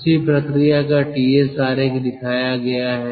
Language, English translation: Hindi, the ts diagram of the same process that is shown